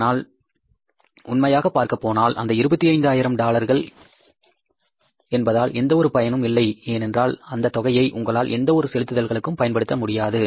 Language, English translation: Tamil, But in the real sense that amount has no value or no use because you cannot use that $25,000 for making any kind of payments